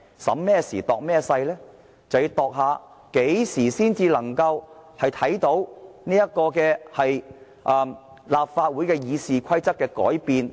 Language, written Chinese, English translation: Cantonese, 就是要衡量何時才能夠看到立法會《議事規則》的改變。, The Government has to assess when amendments to RoP of the Legislative Council can be made